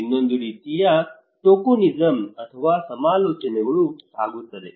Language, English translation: Kannada, Another one is kind of tokenism okay or consultations